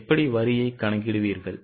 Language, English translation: Tamil, How will you calculate the tax